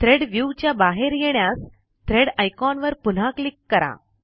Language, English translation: Marathi, To come out of the Thread view, simply click on the Thread icon again